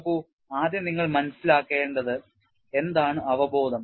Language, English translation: Malayalam, See first of all you have to understand what intuition is